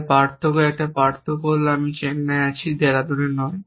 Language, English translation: Bengali, So difference one difference is that I am in Chennai not in Dehradun